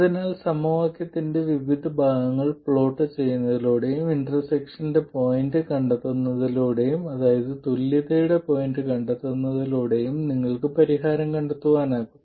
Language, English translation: Malayalam, So, by plotting different parts of the equation and finding the point of equality, that is finding the point of intersection, you can find the solution